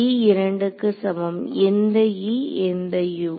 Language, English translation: Tamil, e equal to 2 numbered which e which Us